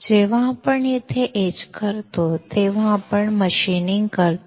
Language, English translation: Marathi, When we etch this much, we are machining